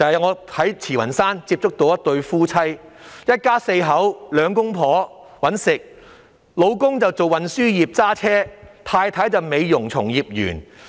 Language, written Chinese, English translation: Cantonese, 我在慈雲山接觸到一對夫婦，他們一家四口，兩夫婦均有工作，丈夫是運輸業的司機，太太是美容從業員。, I have contacts with a family of four in Tsz Wan Shan . The husband is a driver in the transport industry and the wife is a beauty practitioner